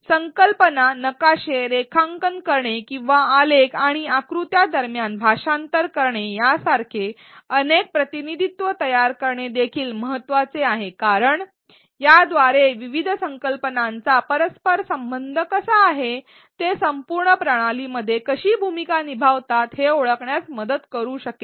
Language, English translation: Marathi, Drawing concept maps or creating multiple representation such as translating between graphs and diagrams are also important as these can help learners identify, how different concepts are interrelated, how they play a role within the entire system